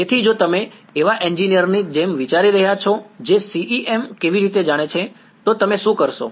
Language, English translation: Gujarati, So, if you are thinking like an engineer who knows CEM how, what would you do